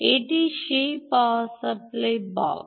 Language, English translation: Bengali, this is the power supply block